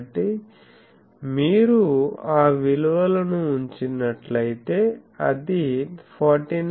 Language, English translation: Telugu, So, if you put all those values we will see it is comes to be 49